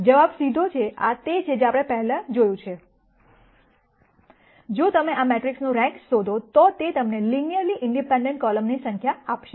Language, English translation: Gujarati, The answer is straightforward this is something that we have already seen before, if you identify the rank of this matrix it will give you the number of linearly independent columns